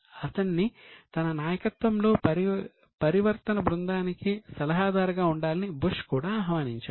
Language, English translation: Telugu, And in 2001, Bush had invited him to become advisor of his transition team